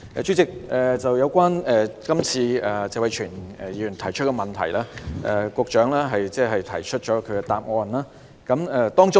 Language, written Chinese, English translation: Cantonese, 主席，有關今次謝偉銓議員提出的質詢，局長已提供答覆。, President on the question raised by Mr Tony TSE the Secretary has made a reply